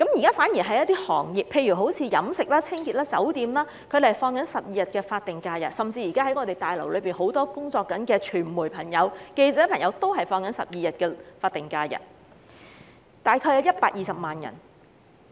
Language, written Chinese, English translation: Cantonese, 相反，有一些行業如飲食、清潔及酒店業的僱員，甚至是現時在立法會綜合大樓內工作的傳媒朋友，都是放取12天法定假日，總數大約有120萬人。, Contrarily a total of about 1.2 million employees such as those working in the catering cleaning and hotel sectors and even media practitioners currently working in the Legislative Council Complex are entitled to only 12 days of SHs